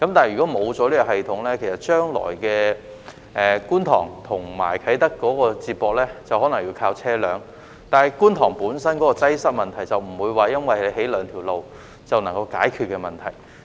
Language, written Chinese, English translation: Cantonese, 如果沒有這個系統，將來觀塘與啟德便可能要依靠車輛接駁，但觀塘本身的交通擠塞問題，並不會因為興建了兩條道路便可以解決。, Without such a system Kwun Tong and Kai Tak may have to be connected by vehicles in the future but the traffic congestion problem in Kwun Tong can hardly be solved by building two roads